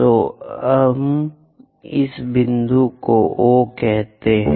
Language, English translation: Hindi, So, let us call this point as O